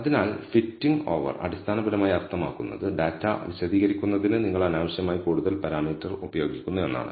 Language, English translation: Malayalam, So, over fitting, basically means you are using unnecessarily more parameters than necessary to explain the data